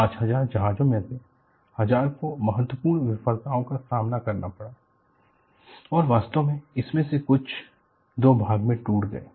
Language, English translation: Hindi, Of the 5000 ships, thousand suffered significant failures, and in fact, some of them broke into 2